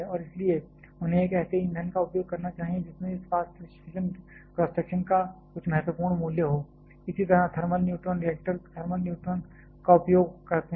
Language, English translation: Hindi, And hence they must use a fuel which has a some significant value of this fast fission cross section, similarly thermal neutron reactors utilize thermalize neutrons